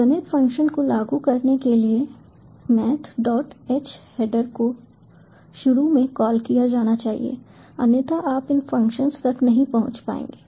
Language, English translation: Hindi, to apply the math functions, the math dot h header must be initially called, otherwise you wont be able to access these functions